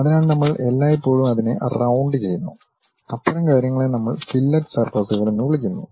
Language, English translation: Malayalam, So, we always round it off, such kind of things what we call fillet surfaces